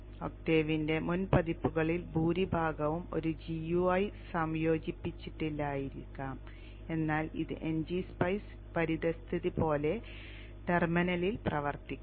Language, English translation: Malayalam, Most of the earlier versions of the Octave, they may not have a GUI integrated but it will work on the terminal just like the NG Spice environment